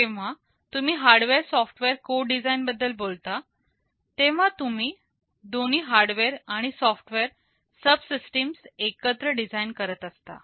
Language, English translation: Marathi, You talk now about something called hardware software co design, meaning you are designing both hardware and software subsystems together